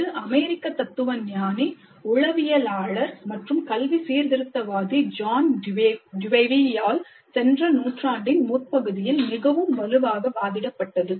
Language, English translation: Tamil, It was advocated very strongly by the American philosopher, psychologist, and educational reformer John Dewey, way back in the early part of the last century